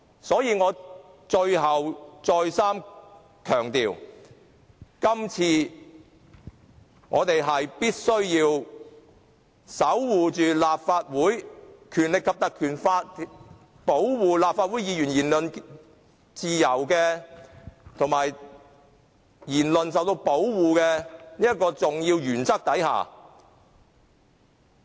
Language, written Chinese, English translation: Cantonese, 所以，我最後再三強調，今次我們必須守護《立法會條例》保護立法會議員言論自由、言論受到保護的重要原則。, Finally I thus have to stress over and over again that this time we must safeguard the Ordinance which upholds the cardinal principles of protecting freedom of speech and protecting Members speeches